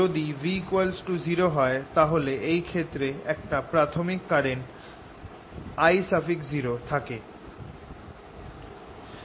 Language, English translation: Bengali, suppose v was zero and there is an initial current i equals i zero